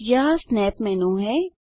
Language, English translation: Hindi, This is the Snap menu